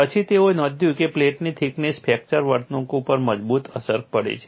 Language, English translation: Gujarati, However researches have noticed that the thickness of the plate had a strong influence on fracture behavior